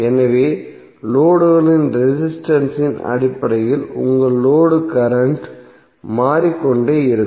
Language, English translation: Tamil, So based on the resistance of the load your load current will keep on changing